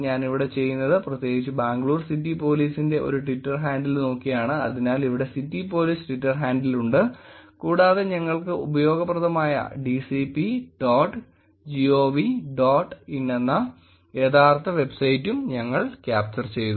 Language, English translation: Malayalam, What I am doing here is, specifically looking at a Twitter handle of Bangalore City Police, so here is the city police Twitter handle and we have also captured the actual website which is dcp dot gov dot in which is useful for us